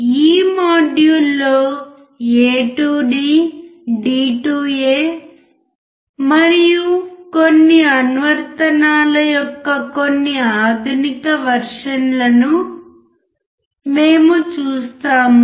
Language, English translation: Telugu, We will see some advanced version of a to d, d to a and some applications in this module